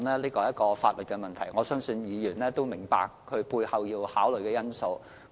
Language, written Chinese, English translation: Cantonese, 這是一項法律的問題，我相信議員亦明白背後要考慮的因素。, This is a legal issue and I believe Members also understand the factors that have to be taken into consideration